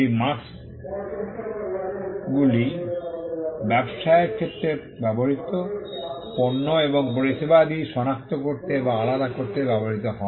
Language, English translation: Bengali, These marks are used to identify or distinguish goods and services that are used in business